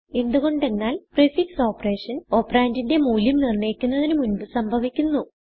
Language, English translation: Malayalam, This is because a prefix operation occurs before the operand is evaluated